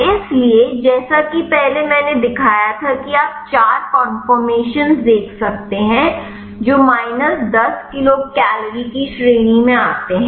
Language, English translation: Hindi, So, here as I showed earlier you can see the four conformation which fall in the category of minus 10 kcal